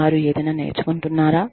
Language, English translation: Telugu, Are they learning, anything